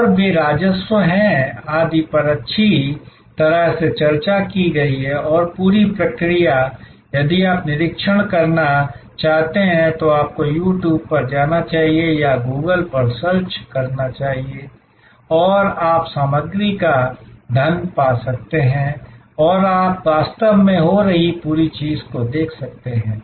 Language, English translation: Hindi, And they are revenues, etc have been well discussed and the whole process if you want to observe, you should go to You Tube or go to Google and you can find a wealth of material and you can see actually the whole thing happening